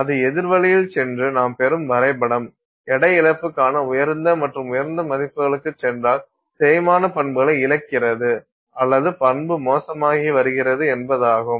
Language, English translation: Tamil, If you're going the opposite way then that it means if the graph that you're getting goes to higher and higher values of weight loss then you are losing where property or your where property is becoming worse